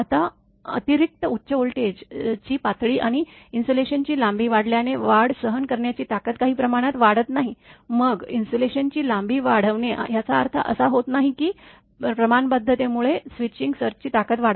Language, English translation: Marathi, Now, an extra high voltage levels, and increase in insulation length does not provide a proportional increase in switching surge withstand strength, then we just like increasing the insulation length does not mean, that proportionality increase the switching surge strength